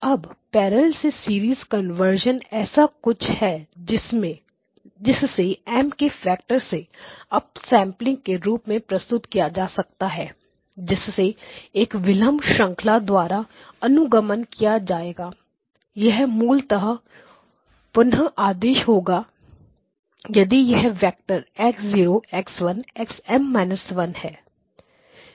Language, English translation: Hindi, Now the parallel to serial conversion is something that can be represented in terms of up sampling by a factor of M followed by a delay chain this will basically reorder if the vector came in as X0 X1 to XM minus 1